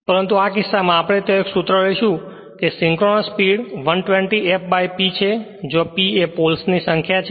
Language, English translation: Gujarati, But in this case we will take that one formula is there that synchronous speed is equal 120 F by P P is number of poles